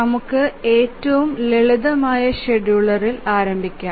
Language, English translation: Malayalam, We will start with the simplest scheduler